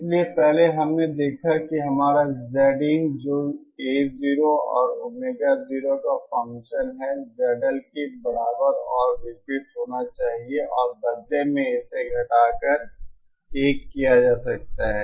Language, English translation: Hindi, So first we saw that our Z in which is the function of A 0 and Omega 0 should be equal and opposite to Z L and this in turn can be further reduced to 1